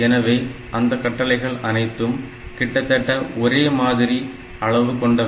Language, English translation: Tamil, So, that way all these instructions they are of more or less same size and same duration